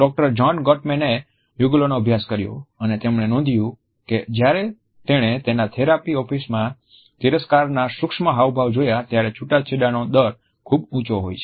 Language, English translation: Gujarati, Doctor John Gottman studied couples and he has found that when he sees the contempt micro expression in his therapy office there is a very high rate of divorce